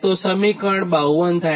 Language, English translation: Gujarati, this is equation fifty five